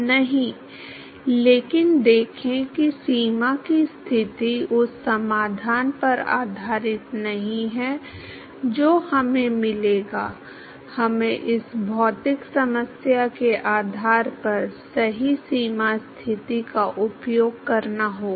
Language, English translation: Hindi, No, but see boundary conditions are not based on the solution that we would get, we have to use the correct boundary condition based on what is this physical problem